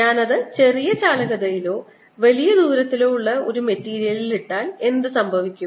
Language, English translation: Malayalam, what happens if i put it in a material of smaller conductivity or larger distance